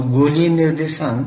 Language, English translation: Hindi, So, spherical coordinate